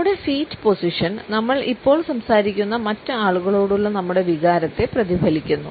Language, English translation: Malayalam, The way we position our feet also reflects our feelings towards other people to whom we happen to be talking to at the moment